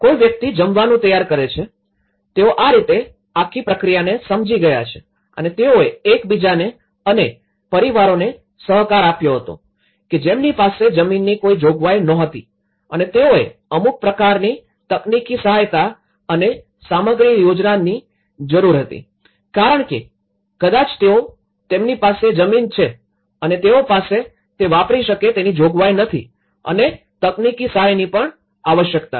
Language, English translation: Gujarati, Someone preparing the food, you know in that way, the whole process has been understood and they cooperated with each other and families, who did not have any access to land and they required some kind of only technical assistance and material contributions because may that they have a land and also they don’t have an access and also required technical assistance